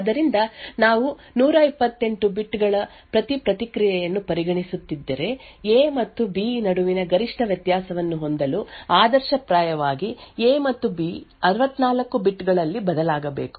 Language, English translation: Kannada, So if we are considering that each response of 128 bits in order to have maximum difference between A and B, ideally A and B should vary in 64 bits